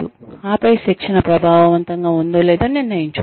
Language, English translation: Telugu, And then, one can decide, whether the training has been effective or not